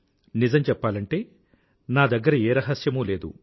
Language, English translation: Telugu, To tell you the truth, I have no such secret